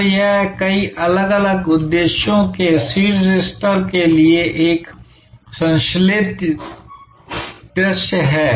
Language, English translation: Hindi, So, it is a synthesized view for at a top level of many different objectives